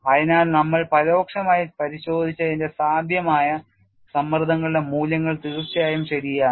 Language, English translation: Malayalam, So, this is the indirect verification that what we have pictured as the possible values of stresses is indeed correct